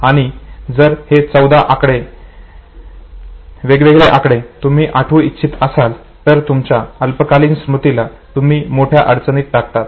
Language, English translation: Marathi, Now if you want to memorize it as 14 different set of information, you are putting your short term storage in a big problem